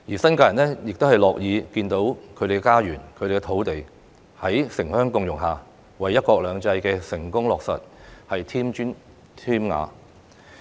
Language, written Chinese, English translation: Cantonese, 新界人亦樂見他們的家園和土地在城鄉共融下，為"一國兩制"的成功落實添磚添瓦。, New Territories people will be happy to see that their homes and lands under the concept of urban - rural symbiosis can contribute to the successful implementation of one country two systems